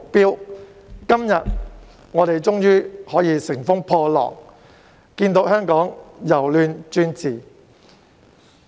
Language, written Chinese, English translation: Cantonese, 我們今天終於可以乘風破浪，看見香港由亂轉治。, Today we can finally overcome all the hardships and witness Hong Kongs transformation from chaos into stability at long last